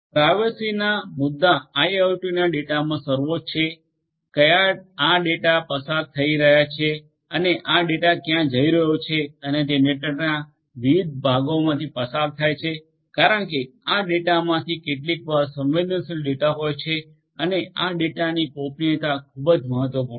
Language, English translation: Gujarati, Privacy issues are paramount in IIoT data where this data going through and where this data is going and through which different parts of the network it is going through depending on that because, this data sometimes will have sensitive data the privacy of this data are very important